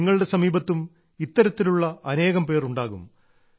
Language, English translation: Malayalam, There must be many such people around you too